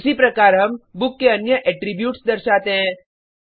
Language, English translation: Hindi, Similarly we display other attributes of the book